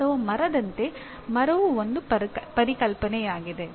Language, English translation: Kannada, Or like a tree, tree is a concept